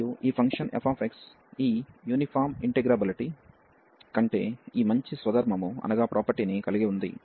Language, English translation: Telugu, And this function f x has this nice property above this uniform integrability